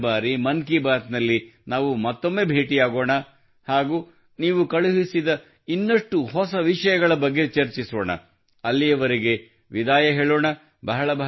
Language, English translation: Kannada, Next time in 'Mann Ki Baat' we will meet again and discuss some more new topics sent by you till then let's bid goodbye